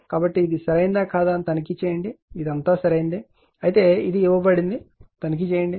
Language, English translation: Telugu, So, you check whether it is correct or not this is everything is correct, but you check this is given to you right